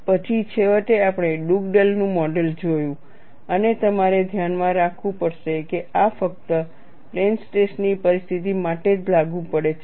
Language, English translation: Gujarati, Then finally, we had seen the Dugdale’s model and we will have to keep in mind this is applicable only for a plane stress situation